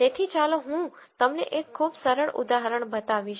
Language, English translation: Gujarati, So, let me show you a very simple example